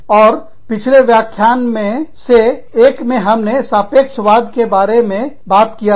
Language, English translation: Hindi, And, we talked about relativism, in one of the previous lectures